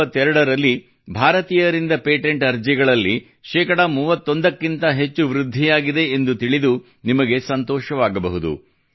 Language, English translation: Kannada, You will be pleased to know that there has been an increase of more than 31 percent in patent applications by Indians in 2022